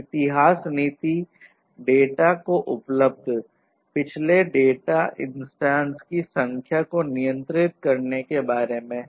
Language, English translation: Hindi, History policy is about controlling the number of previous data instances available to the data